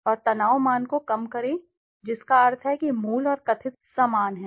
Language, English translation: Hindi, And lower the stress value that means the original and the perceived are similar